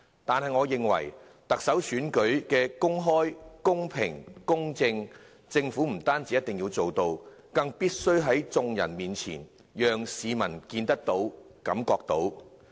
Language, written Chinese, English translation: Cantonese, 但是，我認為確保特首選舉得以公開、公平、公正地進行，政府不單一定要做到，更必須讓一眾市民看得到，也感受得到。, However the Government not only has to take adequate actions to ensure that the Chief Executive Election is conducted in an open fair and equitable manner I think it also has to let the public see and feel that the election is so conducted